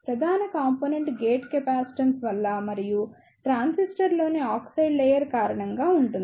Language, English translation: Telugu, The major component is due to the gate capacitance and which is due to the oxide layer in the transistor